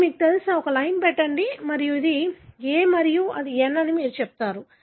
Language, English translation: Telugu, So, I would, you know, put a line and you would say that here it is, this is A and this is N